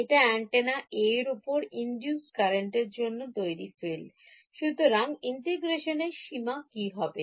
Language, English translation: Bengali, Next is the field produced by the current induced on antenna B; so, limits of integration